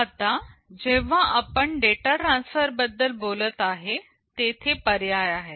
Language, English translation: Marathi, Now, when we talk about data transfer there are options